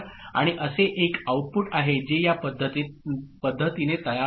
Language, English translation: Marathi, And there is a output that is getting generated in this manner